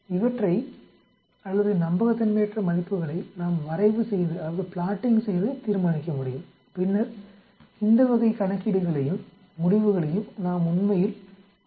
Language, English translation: Tamil, We can determine by plotting these or the unreliability values and then we can achieve this type of calculations and results actually